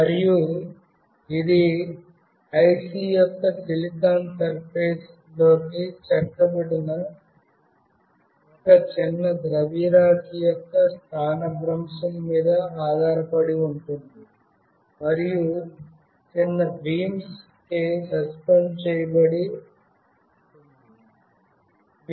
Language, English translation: Telugu, And this is based on displacement of a small mass that is etched into the silicon surface of the IC, and suspended by small beams